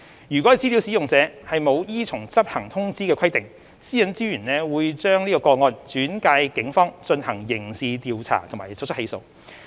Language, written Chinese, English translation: Cantonese, 如資料使用者沒有依從執行通知的規定，私隱專員會把個案轉介警方進行刑事調查及作出起訴。, If the data user does not comply with the requirements of the enforcement notice the Commissioner would refer the case to the Police for criminal investigation and prosecution